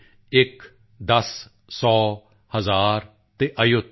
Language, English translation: Punjabi, One, ten, hundred, thousand and ayut